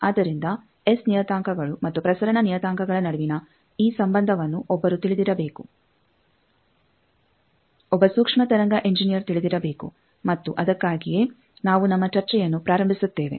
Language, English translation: Kannada, So, that is why this relationship between S parameters and transmitter parameters 1 should know, 1 microwave engineer should know and that is why we start our discussion